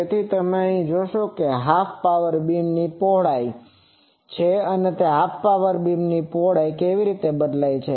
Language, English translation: Gujarati, So, here you will see that half power beam width, this is the half power beam width, how it is varying